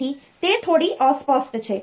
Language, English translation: Gujarati, So, that is a bit fuzzy